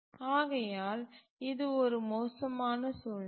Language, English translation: Tamil, So this is really a bad situation